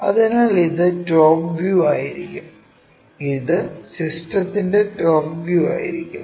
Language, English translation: Malayalam, So, this will be the front view and this will be the top view of the system